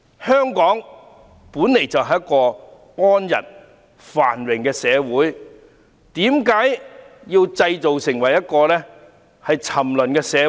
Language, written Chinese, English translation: Cantonese, 香港本來就是一個安逸繁榮的社會，為何要把香港製造成為一個沉淪的社會？, Hong Kong used to be a stable and prosperous society; why do people make it a degenerating society?